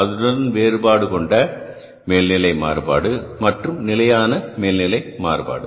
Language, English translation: Tamil, And then the second will be the variable overhead variance and the fixed overhead variance